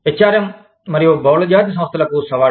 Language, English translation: Telugu, Challenges to, HRM and Multinational Enterprises